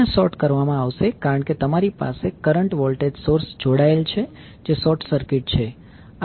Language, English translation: Gujarati, So, this will be sorted because you have a current voltage source connected which was short circuited